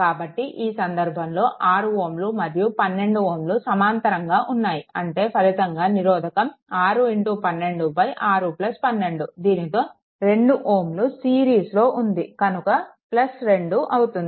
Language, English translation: Telugu, So, in this case 6 ohm and 12 ohm they are in parallel; that means, 6 into 12 divided by 6 plus 12 right, with that this 2 ohm is in series so, plus 2 right